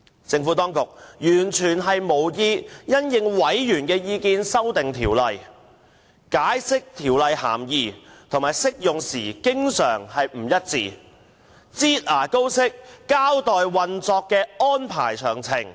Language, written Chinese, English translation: Cantonese, 政府當局完全無意因應委員意見修訂《條例草案》，對《條例草案》的涵義和適用範圍的解釋經常不一致，又以"擠牙膏"方式交代運作安排詳情。, The Government has no intention to revise the Bill in response to Members views; it has provided inconsistent explanations of the meaning and scope of application of the Bill and has only given an account of the operation details in a manner like squeezing toothpaste out of a tube